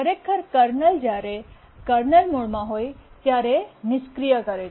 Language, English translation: Gujarati, Actually, the kernel disables when in the kernel mode